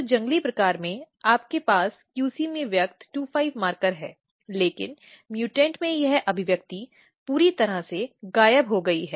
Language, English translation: Hindi, So, in wild type, you have QC 25 markers expressed in the QC, but in mutant this the expression is totally disappeared